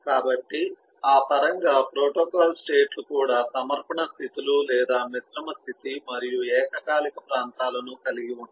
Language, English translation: Telugu, so in eh terms of that, the protocol states also can have submission states or composite state or concurrent regions